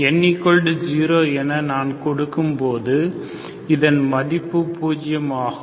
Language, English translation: Tamil, When I put n equal to 0, this becomes 0, this is 0